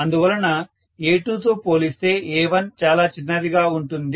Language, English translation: Telugu, So, A2 is going to be much smaller as compared to A1